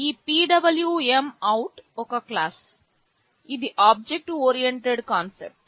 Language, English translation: Telugu, This PwmOut is the class; this is an object oriented concept